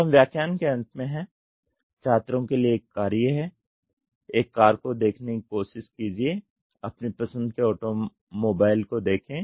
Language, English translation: Hindi, So, coming to the end of the lecture; the task for the students are try to look at a car, look at here automobile of your choice